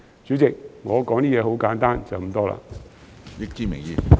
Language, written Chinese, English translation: Cantonese, 主席，我的發言很簡單，就是這麼多。, President my speech is very simple . That is it